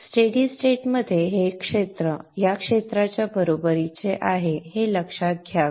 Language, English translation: Marathi, In the steady state you should note that this area is equal to this area